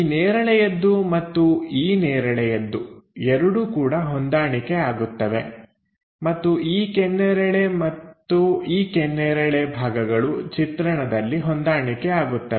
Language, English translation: Kannada, So, this purple one and this purple one matches and this magenta and this magenta portion matches the view